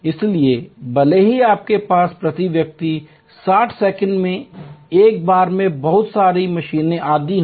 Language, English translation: Hindi, So, even if you have lot of machines etc doing number of tests at a time 60 second per person